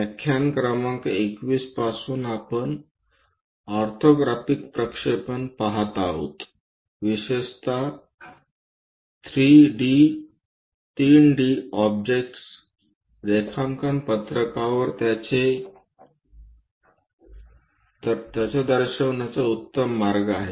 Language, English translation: Marathi, From lecture number 21 we are looking at orthographic projections, especially 3 D objects, what is the best way to represent it on the drawing sheet